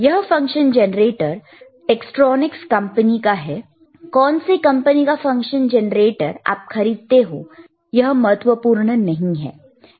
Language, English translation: Hindi, This function generator is from tTektronix again, it does not matter does not matter from which company you are buying, right